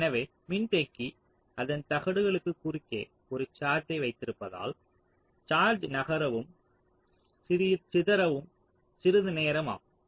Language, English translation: Tamil, so ah, because the capacitor is holding a charge across its plates, it will take some time for the charge to move and dissipate so instantaneously